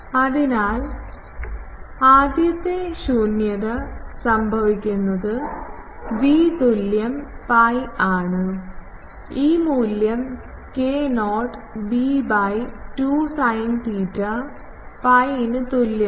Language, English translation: Malayalam, So, there the first null occur at v is equal pi, this value you put k not b by 2 sin theta is equal to pi